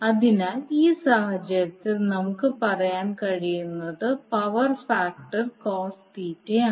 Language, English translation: Malayalam, So in that case what we can say that the power factor is cos Theta